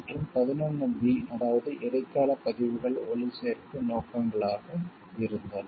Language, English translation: Tamil, And 11 b that is ephemeral recordings were broadcasting purposes